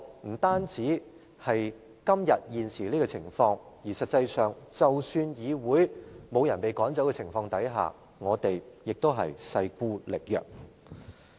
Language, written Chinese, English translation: Cantonese, 我們現時人丁單薄；實際上，即使沒有議員被趕走，我們也勢孤力薄。, There are now very few of us here . In fact even if no Members had been expelled we are already isolated and vulnerable